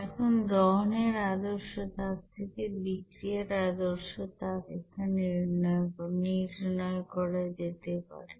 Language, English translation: Bengali, Now the standard heat of you know reaction from that standard heat of combustion can be then calculated here